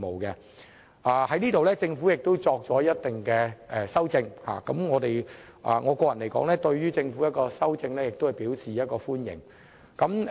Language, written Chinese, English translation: Cantonese, 就此，政府亦作出了相應的修訂，我個人對政府的修正案表示歡迎。, In this connection the Government has made corresponding amendments and I welcome the Governments amendments